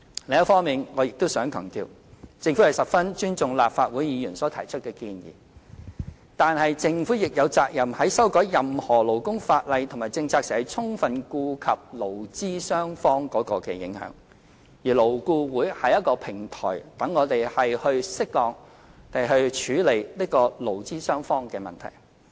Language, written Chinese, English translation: Cantonese, 另一方面，我亦想強調，政府十分尊重立法會議員所提出的建議，但政府亦有責任在修改任何勞工法例和政策時，充分顧及對勞資雙方的影響，而勞顧會是一個平台，讓我們適當地處理勞資雙方的問題。, On the other hand I also wish to highlight one point while the Government highly respects the proposals put forward by Legislative Council Members it is duty - bound to fully consider the impact of any changes in labour laws or policies on employers and employees . LAB is a platform for us to handle labour problems appropriately